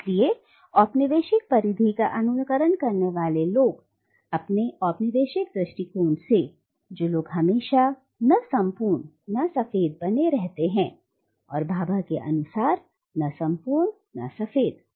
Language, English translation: Hindi, So the mimic men of the colonial periphery are, therefore, from the perspective of the coloniser, people who forever remain “not quite, not white”, and this is Bhabha’s term “not quite, not white”